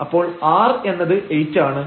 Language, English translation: Malayalam, So, this will be 2